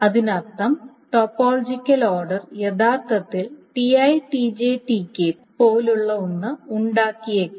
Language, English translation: Malayalam, So, that means, topological order may actually produce something like t, t, j, t, k